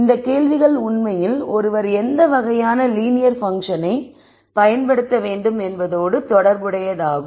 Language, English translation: Tamil, And these questions are really related to what type of non linear function should one use